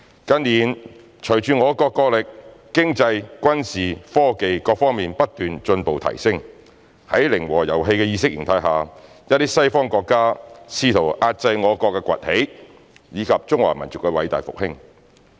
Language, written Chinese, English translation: Cantonese, 近年隨着我國國力、經濟、軍事、科技各方面不斷進步、提升，在零和遊戲的意識形態下，一些西方國家試圖遏制我國崛起，以及中華民族的偉大復興。, With the continuous progress and improvement in our countrys national capability economy military and technology in recent years some western countries have attempted to suppress the rise of our country and the great rejuvenation of the Chinese nation under the ideology of the zero - sum game . A so - called Western camp was therefore formed